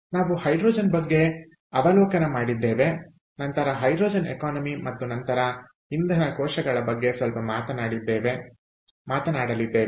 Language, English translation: Kannada, ok, so we are going to talk about hydrogen overview, ah, hydrogen economy, and then about fuel cells